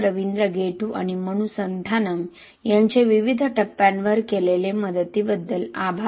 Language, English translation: Marathi, Ravindra Gettu and Manu Santhanam for help at various stages